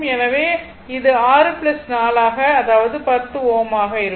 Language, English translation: Tamil, So, it will be 6 plus 4 that is ohm that is your 10 ohm